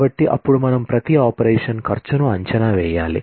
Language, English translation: Telugu, So, then we need to estimate the cost of every operation